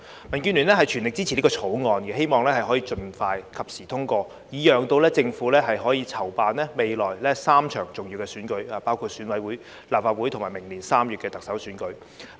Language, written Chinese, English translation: Cantonese, 民建聯全力支持《條例草案》，希望可以盡快及時通過，以讓政府可籌辦未來3場重要的選舉，包括選舉委員會、立法會及明年3月的特首選舉。, The Democratic Alliance for the Betterment and Progress of Hong Kong fully supports the Bill and hopes that it can be passed in an expeditious and timely manner for the Government to organize three important elections in the future including the Election Committee EC elections the Legislative Council election and the Chief Executive Election in March next year